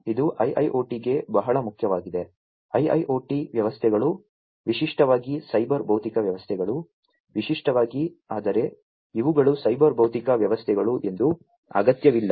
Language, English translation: Kannada, This is very important for IIoT, IIoT systems are typically, cyber physical systems, typically, but not necessarily you know these are cyber physical systems